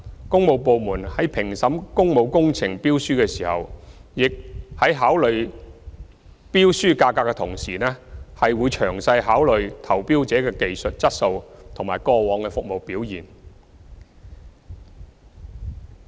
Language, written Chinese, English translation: Cantonese, 工務部門在評審工務工程標書時，在考慮標書價格的同時，會詳細考慮投標者的技術質素及過往服務表現。, In assessing tenders for public works the works departments will consider the tenderers technical competence and past service performance in detail in addition to the tender prices